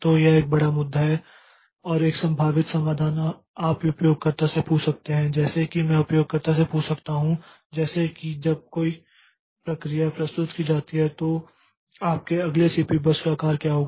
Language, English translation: Hindi, So, this is a big issue and one possible solution is could we ask the user like can I tell the ask the user like what whenever a process is submitted what is the size of your next CPU burst